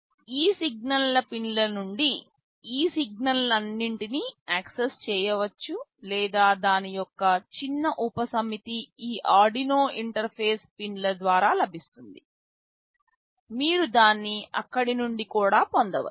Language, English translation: Telugu, All these signals can be accessed either from these signal pins, or a small subset of that is available over these Arduino interface pins, you can also avail it from there